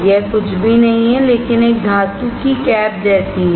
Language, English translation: Hindi, This is nothing, but a metal cap all right